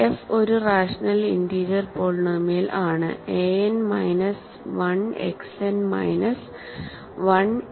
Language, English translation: Malayalam, Let f be a rational integer polynomial write f as a n X n, a n minus 1 X n minus 1 a 1 X plus a 0